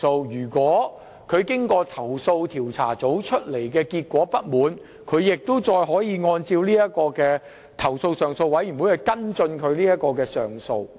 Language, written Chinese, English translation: Cantonese, 如投訴人對投訴調查組的調查結果感到不滿，可循投訴上訴委員會作出跟進及上訴。, A complainant who is dissatisfied with the outcome of the investigation conducted by the Complaints Investigation Unit CIU may follow up with and appeal to CSDCAB